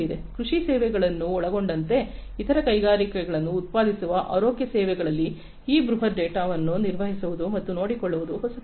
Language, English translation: Kannada, To manage and handle this huge data in health services manufacturing other industries agriculture inclusive, is not new